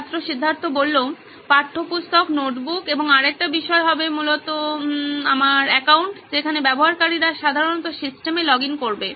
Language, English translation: Bengali, Textbooks, notebooks and another thing would be my account basically where user would usually go login into the system